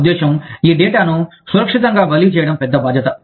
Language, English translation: Telugu, I mean, it is a big liability, to transfer this data, safely